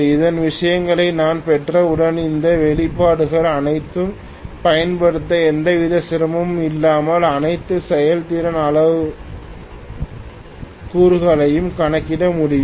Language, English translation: Tamil, Once I have these things we should be able to calculate all the performance parameters using all these expressions without any difficulty